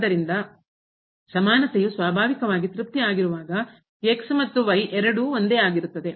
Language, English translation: Kannada, So, then in equality is naturally satisfied when and both are same